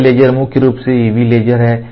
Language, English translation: Hindi, This laser predominantly is UV laser